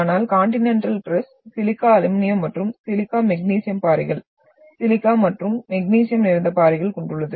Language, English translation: Tamil, Whereas the Continental crust, we have silica aluminium and silica magnesium rocks, silica and magnesium rich rocks